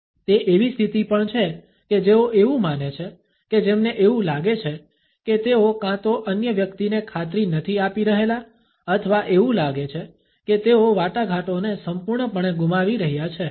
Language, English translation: Gujarati, It is also a position which is assumed by those who feel that they are either not convincing to the other person or think that they might be losing the negotiation altogether